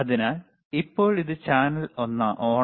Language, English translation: Malayalam, So, right now this is channel one,